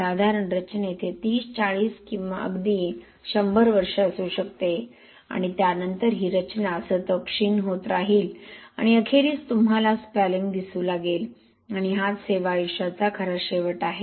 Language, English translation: Marathi, Let us say in a typical structure this could be 30, 40 or even 100 years, now after that the structure will continue to corrode and then this eventually you will start seeing spalling and that is the real end of the service life means without any